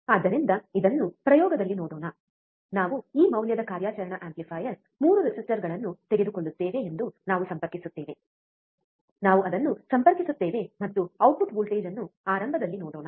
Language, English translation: Kannada, So, let us see this actually in the experiment, we will connect we will take a operational amplifier 3 resistors of this value, we connect it, and let us see the output voltage initially